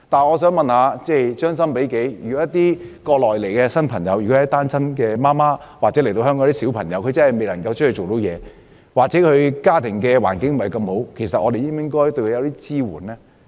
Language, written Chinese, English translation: Cantonese, 我想問，將心比己，如果從國內前來的新移民是單親媽媽或小朋友，他們真的未能夠出外工作，或家庭環境不太好，我們是否應該提供支援呢？, If we put ourselves in their shoes and if these Mainland immigrants are single mothers or small children who are unable to go out to work or are not well - off should we not provide assistance to them?